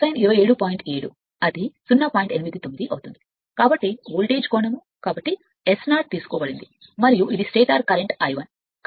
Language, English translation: Telugu, 89 because voltage angle is therefore, taken as 0 and this is the stator current I 1